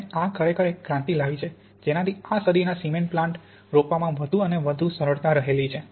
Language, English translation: Gujarati, And this has really made a revolution and since the turn of the century this is now more and more implanted in cement plants